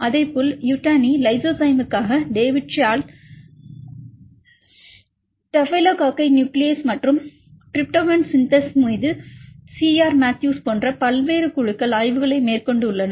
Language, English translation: Tamil, Likewise there are different groups like Yutani reported for Lysozyme, David Shortle the staphylococcal nuclease and a C R Matthews on Tryptophan Synthase